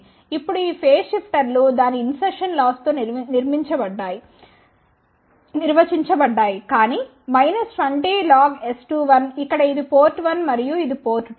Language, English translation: Telugu, Now these phase shifters are defined by its insertion loss which is nothing, but minus 20 log S 2 1, where this is port 1 and this is port 2